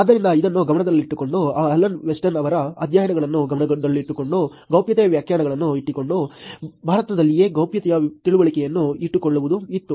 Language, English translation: Kannada, So, keeping this in mind, there was, keeping the Alan Weston’s studies in mind, keeping the privacy definitions, keeping the understanding of privacy within India itself